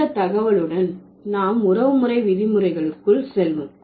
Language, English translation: Tamil, So, with this information we move to the kinship terms